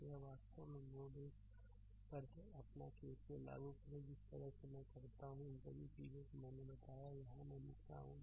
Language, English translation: Hindi, So, this is actually your at node 1 you apply your KCL the way I showed you, all these things I told here I am writing now right